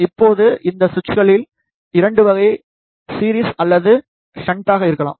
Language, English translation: Tamil, Now, these switches could be of 2 type series or the shunt